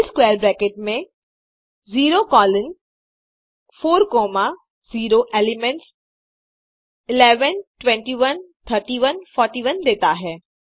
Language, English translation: Hindi, C within square bracket 0 colon 4 comma 0 gives the elements [11, 21, 31, 41]